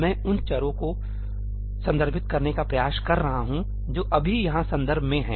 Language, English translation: Hindi, I am trying to refer to the variables that are just in the context over here